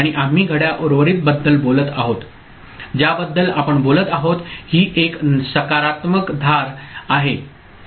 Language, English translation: Marathi, And we are talking about the clock remaining, this is a positive edge triggering we are talking about